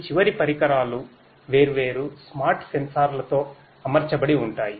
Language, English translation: Telugu, These end devices are fitted with different smart sensors